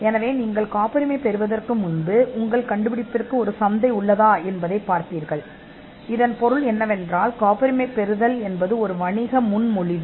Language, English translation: Tamil, So, before you patent, you would see whether there is a market for it; which means it patenting is a business proposition